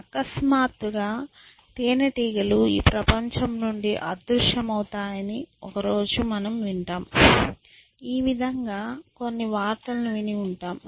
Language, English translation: Telugu, So, now a day’s people one hears that is suddenly bees vanish from this world, you might have heard some news item